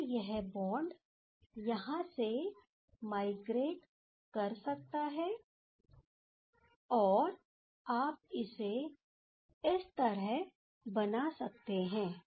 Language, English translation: Hindi, So, then this bond can migrate over here or you can draw in this way